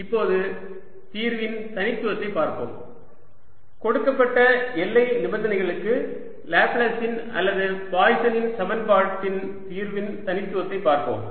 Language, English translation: Tamil, now let's go to uniqueness of solution, uniqueness of solution of laplace's or poison's equation for a given boundary condition